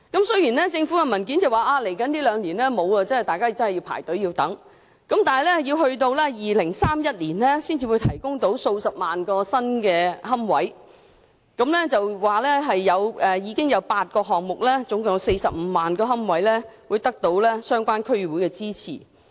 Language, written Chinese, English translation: Cantonese, 雖然政府的文件顯示，未來兩年供應欠奉，輪候者要等到2031年，才有數十萬個新龕位提供；文件亦指出目前有8個項目，共45萬個龕位得到相關區議會支持。, Nevertheless according to government documents no new niches will be available in the next two years . Applicants will have to wait until the year 2031 for the supply of several hundred thousand new niches . It is also stated in the document that presently eight projects which provide a total of 450 000 niches have got the support of the relevant District Council DC